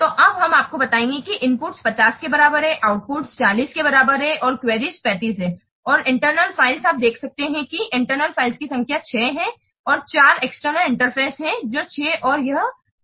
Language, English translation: Hindi, You can see that the inputs is equal to 50, outputs is equal to 40 and queries is 35 and internal files you can see that number of internal files is 6 and 4 is the external interfaces that